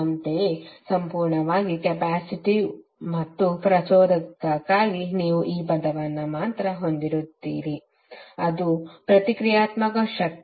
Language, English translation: Kannada, Similarly for purely capacitive and inductive you will only have this term that is the reactive power